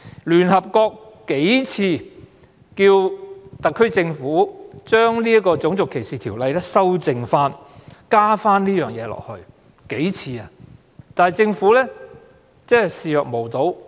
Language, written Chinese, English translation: Cantonese, 聯合國曾數次要求特區政府加入這項條文，以修正《種族歧視條例》，但政府置若罔聞。, The United Nations have requested the SAR Government a few times to amend RDO by including such a provision but the Government has turned a deaf ear